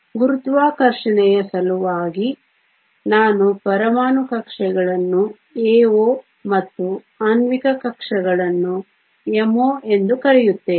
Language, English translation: Kannada, For sake of gravity I will call atomic orbitals as AO and molecular orbitals as MO